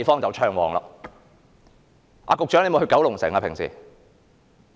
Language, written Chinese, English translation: Cantonese, 局長平常有去九龍城嗎？, Secretary do you go to Kowloon City?